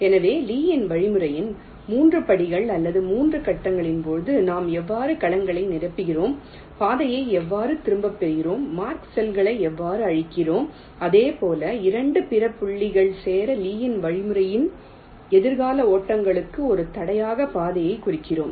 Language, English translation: Tamil, so we had said, during the three steps or the three phases of the lees algorithm, how we fill up the cells, how we retrace the path and how we clear the mark cells as well as we mark the path as an obstacle for future runs of lees algorithm